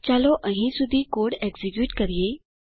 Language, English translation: Gujarati, Now lets execute the code till here